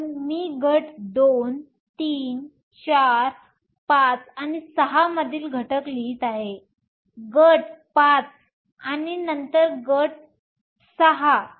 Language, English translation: Marathi, So, I am writing the elements from group II, III, IV, V and VI; group V and then group VI